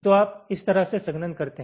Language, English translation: Hindi, so this is how you are doing the compaction